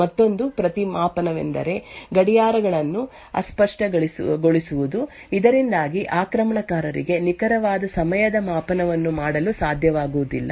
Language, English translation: Kannada, Another countermeasure is by fuzzing clocks so that the attacker will not be able to make precise timing measurement